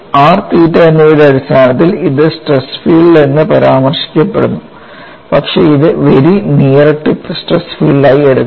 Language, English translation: Malayalam, It is just mentioned as stress field in terms of r and theta, but take it as very near tip stress field